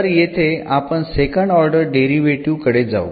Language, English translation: Marathi, So, we will we go for the second order derivative here